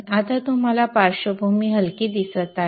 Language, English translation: Marathi, Now you see the background is light